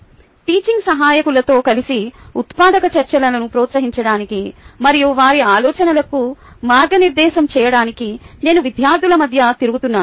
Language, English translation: Telugu, together with teaching assistants, i circulate among the students to promote productive discussions and guide their thinking